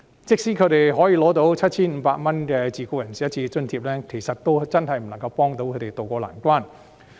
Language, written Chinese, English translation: Cantonese, 即使他們可以領取 7,500 元的自僱人士一次性津貼，但也真的不足以協助他們渡過難關。, Even if they are entitled to a one - off subsidy of 7,500 for self - employed persons this can hardly tide them over this difficult period